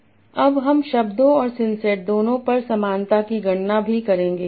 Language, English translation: Hindi, Now we will also compute similarity over words and sense is both